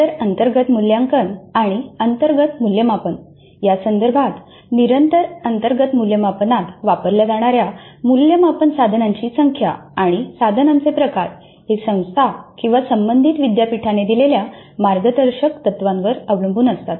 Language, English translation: Marathi, The continuous internal evaluation or internal assessment, with respect to this, the number of assessment instruments that can be used in continuous internal assessment and the variety of assessment instruments allowed depend on the guidelines provided by the institute or affiliating university